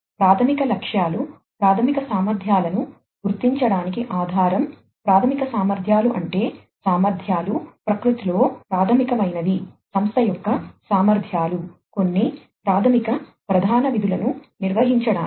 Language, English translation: Telugu, The key objectives are basis for the identification of fundamental capabilities, fundamental capabilities means the capabilities, which are fundamental in nature, which are the abilities of the organization to perform certain basic core functions